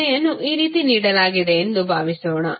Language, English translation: Kannada, Suppose the question is given like this